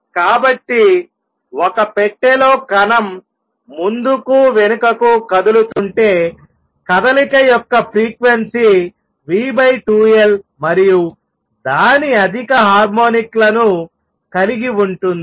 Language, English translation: Telugu, So, in the first case where the particle is doing a particle in a box moving back and forth, the motion contains frequency v over 2L and its higher harmonics